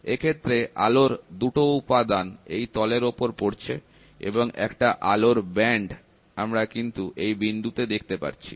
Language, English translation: Bengali, So, thus the 2 components of light will be in face, and the light band will be seen at a point